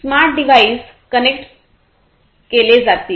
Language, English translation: Marathi, The smart devices will be connected